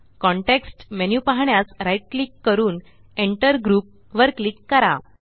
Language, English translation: Marathi, Right click to view the context menu and click on Enter Group